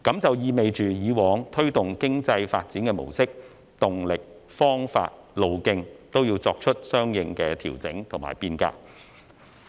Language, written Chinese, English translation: Cantonese, 這意味以往推動經濟發展的模式、動力、方法和路徑，也要作出相應的調整和變革。, This means that the previous models dynamics methods and paths for driving economic development will have to be adjusted and changed accordingly